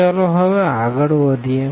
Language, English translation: Gujarati, So, let us discuss now